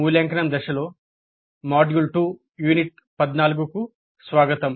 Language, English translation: Telugu, Greetings, welcome to module 2, unit 14 on evaluate phase